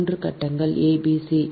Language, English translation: Tamil, so three phases: a, b, c